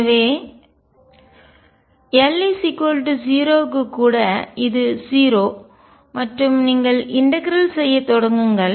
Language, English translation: Tamil, So, even for l equals 0 it is 0 and you start integrating out